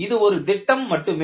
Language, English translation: Tamil, This is only a schematic